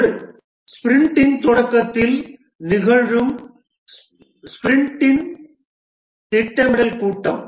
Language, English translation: Tamil, One is the sprint planning meeting which occurs at the start of a sprint